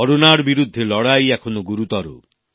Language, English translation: Bengali, The fight against Corona is still equally serious